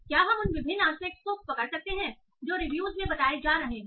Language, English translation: Hindi, So can we capture that what are the different aspects that are being told in the review